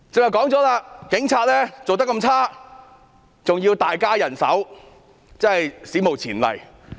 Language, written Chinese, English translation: Cantonese, 我剛才提到，警察的表現差劣，還要大增人手，這是史無前例的。, This is crystal clear . I have mentioned earlier that the performance of the Police is poor yet its manpower will be increased significantly . This is unprecedented